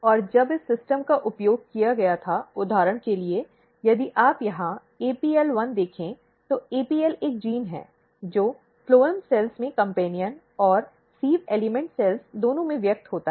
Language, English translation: Hindi, And when this system was used for example, if you look here APL1, APL is a gene, which express in the phloem cells both companion and sieve element cells